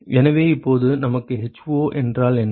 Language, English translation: Tamil, So, now we need to know what is h0